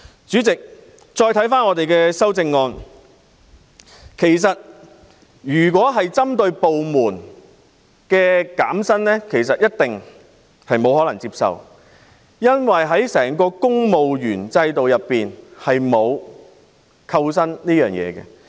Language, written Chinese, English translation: Cantonese, 主席，如果修正案要求個別部門減薪，肯定不能接受，因為公務員制度下沒有扣薪機制。, Chairman if an amendment seeks to reduce the salaries of individual departments it is definitely unacceptable because there is no salary deduction mechanism under the civil service system